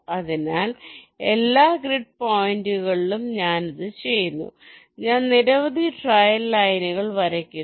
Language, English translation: Malayalam, so, across all the grid points i am doing this, i am drawing so many trail lines